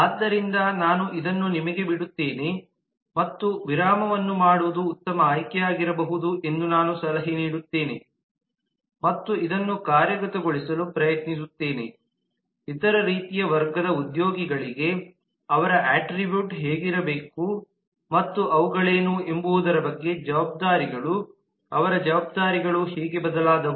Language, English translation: Kannada, so i will leave this to you and i will again advice that it may be a good option to just do a pause and try to work this out for the other kinds of categories of employees as to what their attribute should be and what their responsibilities, how their responsibilities turned out to be